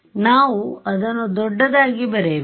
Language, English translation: Kannada, We should write it bigger